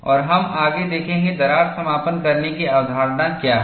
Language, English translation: Hindi, And we will further see, what the crack closure concept is all about